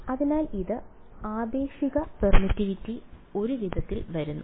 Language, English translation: Malayalam, So, it becomes the relative permittivity comes in a way